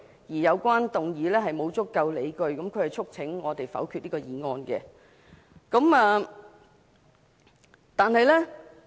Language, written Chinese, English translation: Cantonese, 他更表示沒有足夠理據，故此促請我們否決此議案。, He also urged Members to veto the motion since it was not sufficiently justified